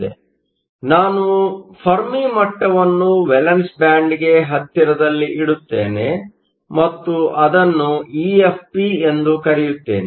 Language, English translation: Kannada, So, let me put the Fermi level closer to the valence band, and call it EFP